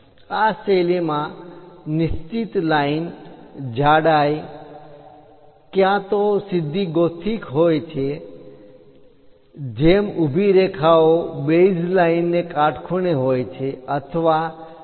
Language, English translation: Gujarati, This style supposed to consist of a constant line, thickness either straight gothic with vertical strokes perpendicular to the base line or inclined gothic